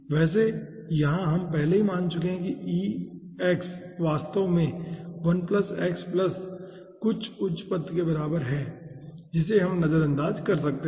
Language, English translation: Hindi, by the way, here we have already taken the assumption: e to the power x is actually equals to 1 plus x, plus some higher term which we can neglects